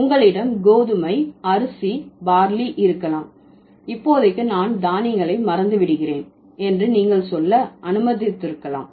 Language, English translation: Tamil, So, you might have wheat, you might have rice, you might have barley, you might have, let's say, what else, I'm forgetting the grains for the moment